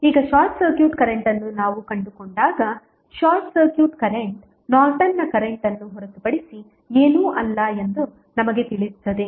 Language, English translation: Kannada, Now, when we find out the short circuit current we will come to know that short circuit current is nothing but the Norton's current, how